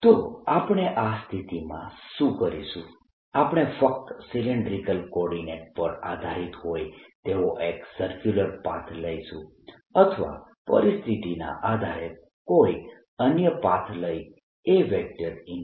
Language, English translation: Gujarati, so what we'll be doing in this is: given a situation, take a path, depending on if it depends only on the cylindrical coordinate s i'll take a circular path or, depending on the situation, some other path